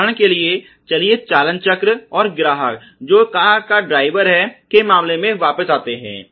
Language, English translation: Hindi, For example, let us go back to the case of the steering wheel and the customer who is the driver of the car